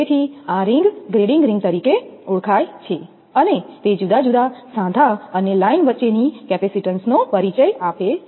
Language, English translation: Gujarati, So, this ring known as a grading ring; and it introduces capacitances between different joints and line